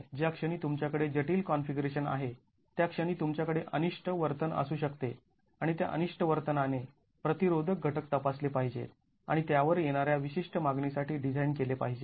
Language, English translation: Marathi, The moment you have complex configurations, you can have undesirable behavior and that undesirable behavior would require that the resisting elements are checked and designed to specific demand coming onto it